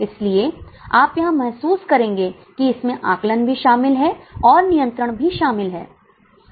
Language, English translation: Hindi, So, you would observe estimating is also involved and controlling is also involved